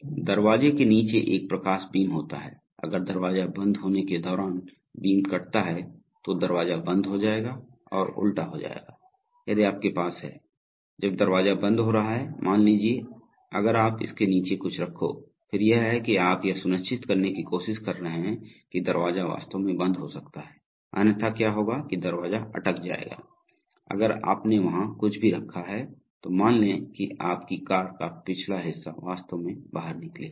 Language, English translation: Hindi, There is a light beam across the bottom of the door, if the beam is cut while the door is closing then the, then the door will stop and reverse, so if you have, while the door is closing, suppose if you, if you put something below it, then that is, you are trying to ensure that the door can actually close because otherwise what will happen is that the door will get stuck, if you have kept anything there suppose the back of your car is actually sticking out